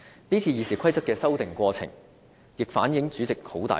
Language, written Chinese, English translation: Cantonese, 這次《議事規則》的修訂過程，也反映主席的權力相當大。, In the process of amending RoP this time we can also see how powerful the President is